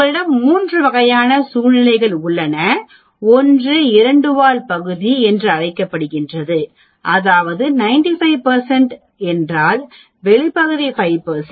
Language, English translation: Tamil, You have 3 types of situations one is called the two tailed region that means, if it is 95 percent outside area is 5 percent